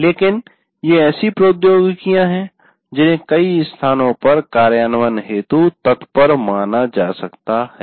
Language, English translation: Hindi, But let us say these are the technologies that can be considered for ready implementation in many places